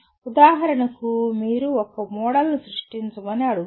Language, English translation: Telugu, For example you are asked to create a model